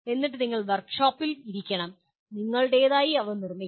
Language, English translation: Malayalam, And then you have to sit in the workshop and you have to produce your own